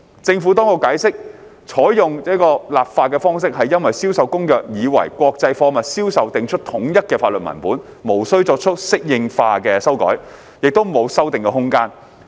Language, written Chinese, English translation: Cantonese, 政府當局解釋，採用這個立法方式是因為《銷售公約》已為國際貨物銷售訂出統一的法律文本，無需作出適應化修改，也沒有修訂空間。, The Administration explained that this legislative approach was adopted because CISG had already provided a uniform legal text for the sale of international goods and there was no need for adaptation and no room for amendment